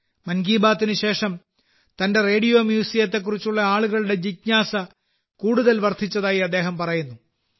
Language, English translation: Malayalam, He says that after 'Mann Ki Baat', people's curiosity about his Radio Museum has increased further